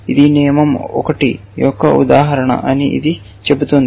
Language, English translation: Telugu, This is saying that this is an instance of rule 1 which is